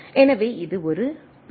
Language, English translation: Tamil, So, it is a error